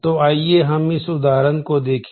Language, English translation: Hindi, So, let us look at this example